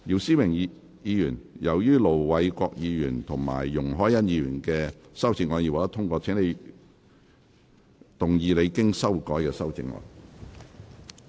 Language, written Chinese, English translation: Cantonese, 姚思榮議員，由於盧偉國議員及容海恩議員的修正案已獲得通過，請動議你經修改的修正案。, Mr YIU Si - wing as the amendments of Ir Dr LO Wai - kwok and Ms YUNG Hoi - yan have been passed you may move your revised amendment